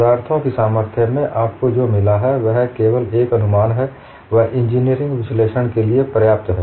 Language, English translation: Hindi, What you have got in strength of materials was only in approximation good enough, for engineering analysis